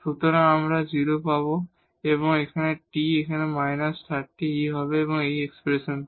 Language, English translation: Bengali, So, we will get 0 and t will be minus 30 over e from this expression here